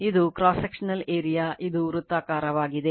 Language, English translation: Kannada, This is that cross sectional area right, this is circular one